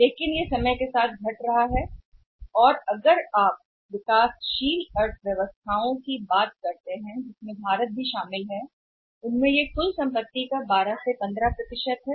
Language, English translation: Hindi, But this is declining over a period of time and if you talk about the developing economies including India it accounts for about 12 to 15% of the total access